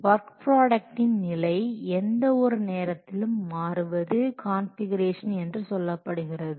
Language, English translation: Tamil, The state of all work products at any point of time is called the configuration